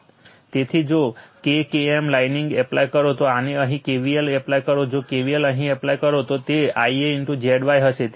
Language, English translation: Gujarati, So, if you apply your K KM lining this one if you apply your you this here if you apply KVL here, if you apply KVL here, it will be I a into Z y right